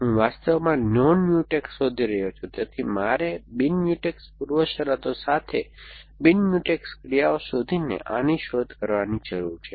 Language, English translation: Gujarati, I am looking for non Mutex actually, so I need to do this backward search looking for non Mutex actions with non Mutex preconditions